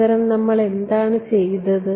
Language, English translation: Malayalam, What did we do rather